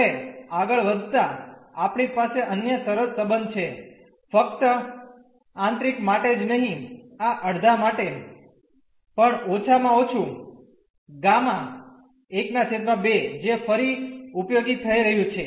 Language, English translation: Gujarati, Now, moving next we have another nice of relation not only for the interior, but also for this half at least gamma half which is going to be again useful